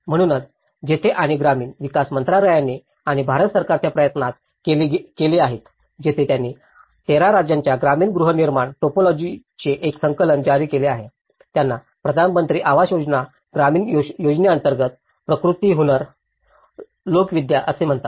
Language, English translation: Marathi, So, that is where and there has been an effort by the Ministry of Rural Development and Government of India where they have issued a compendium of rural housing typologies of 13 states, this is called Prakriti Hunar Lokvidya under the Pradhan Mantri Awas Yojana Gramin scheme, this has been compiled as a kind of compendium of different rural housing technologies